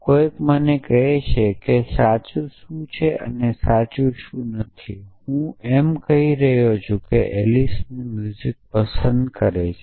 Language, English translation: Gujarati, Somebody is telling me what is true and what is not true that I am saying that Alice likes music’s